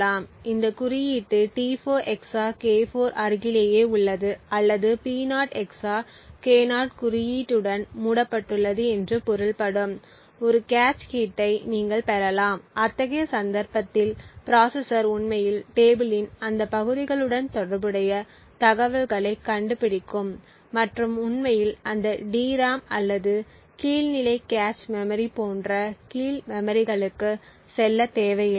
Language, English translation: Tamil, Either you can get a cache hit which would mean that this index T4 XOR K4 is in the vicinity or is closed to the index P0 XOR K0, in such a case the processor would actually find the relevant information corresponding to those parts of the table and therefore would not require to actually go to the lower memories like that DRAM or the lower level cache memory